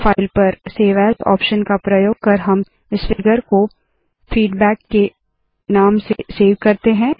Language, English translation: Hindi, Using the save as option on file, we will save this figure as feedback